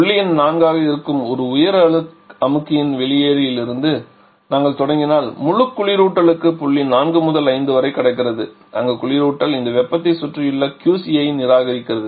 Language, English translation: Tamil, If we start from the exit of the higher compressor which is point number 4 from there into the entire refrigerant is crossing from point 4 to point 5 where the refrigeration is reacting this heat to the surrounding which is your QC